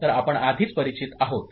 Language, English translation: Marathi, So, this we are already familiar